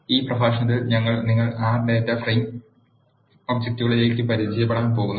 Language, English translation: Malayalam, In this lecture we are going to introduce you to the data frame objects of R